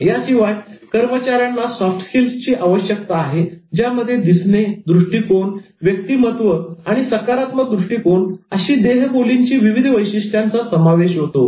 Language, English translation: Marathi, But apart from that, employees are clearly looking for soft skills which comprise many body language traits such as appearance, attitude, personality and positive outlook